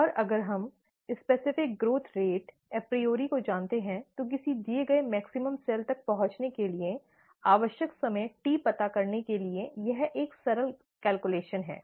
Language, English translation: Hindi, And if we know the specific growth rate apriori, this is a straight forward simple calculation to find out the time t that is needed to reach a given maximum cell a given cell concentration, okay